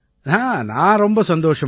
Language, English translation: Tamil, I am very happy